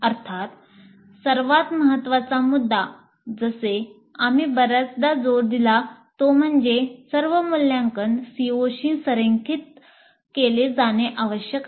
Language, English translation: Marathi, Of course, the most important point as we have emphasized many times is that all assessment must be aligned to the COs